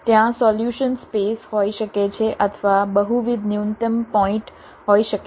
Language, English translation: Gujarati, there can be a solution space or there can be multiple minimum points